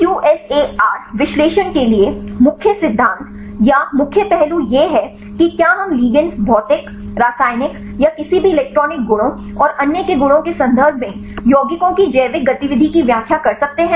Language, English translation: Hindi, So, the main principle or main aspects for the QSAR analysis is whether we can explain the biological activity of the compounds in terms of other properties of the ligands physical, chemical or any electronic properties and so on